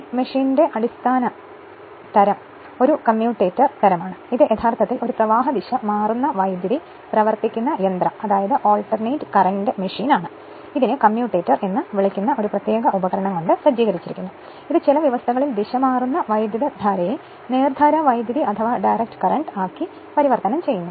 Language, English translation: Malayalam, So, basic type of DC machine is that of commutator type, this is actually an your alternating current machine, but furnished with a special device that is called commutator which under certain conditions converts alternating current into direct current right